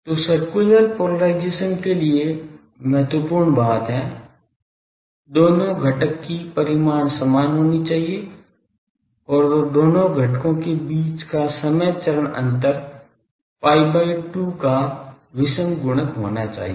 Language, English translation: Hindi, So, for circular polarisation the important thing is; magnitude of the 2 component should be same and time phase the time phase difference between the 2 components should be odd multiples of pi by 2